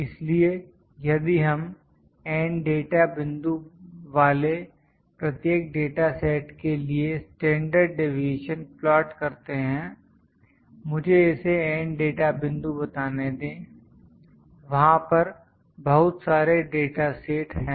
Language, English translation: Hindi, So, if we plot the sample standard deviations for many data sets each having N data point let me call it N data points, there are many data sets